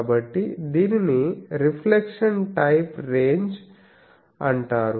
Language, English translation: Telugu, So this is called reflection type ranges